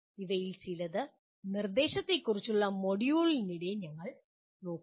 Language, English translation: Malayalam, Some of them we will be looking at during the module on instruction